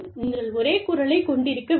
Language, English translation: Tamil, And, you must, have the same voice